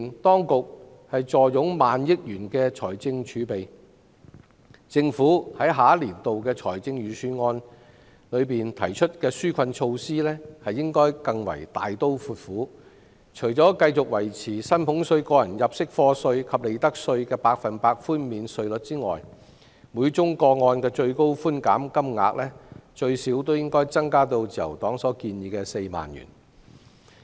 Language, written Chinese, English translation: Cantonese, 當局既然坐擁萬億元財政儲備，在下一個年度的預算案中提出紓困措施時，應該更為大刀闊斧，除維持薪俸稅、個人入息課稅及利得稅的百分百寬免比率外，每宗個案的最高寬減金額亦應最少增加至自由黨建議的4萬元。, With a trillion - dollar financial reserve the authorities should be bolder and more generous when proposing relief measures in the next Budget . Apart from maintaining the 100 % concession rates in salaries tax tax under PA and profits tax the concession ceiling for each case should at least be raised to 40,000 as suggested by the Liberal Party